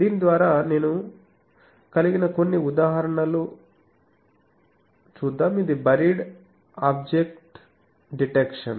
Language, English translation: Telugu, Some of the examples I will have it through this is buried object detection